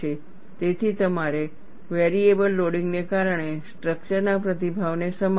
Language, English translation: Gujarati, So, you have to accommodate response of the structure due to variable loading